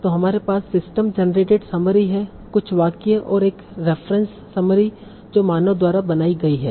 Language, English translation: Hindi, So we have the system some generated summary, some sentences, and a reference summary that is created by the human